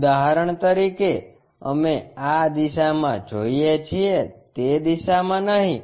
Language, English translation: Gujarati, For example, we are looking from this direction not in that direction